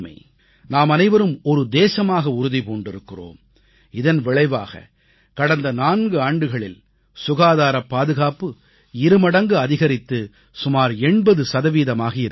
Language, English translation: Tamil, All of us took up the responsibility and the result is that in the last four years or so, sanitation coverage has almost doubled and risen to around 80 percent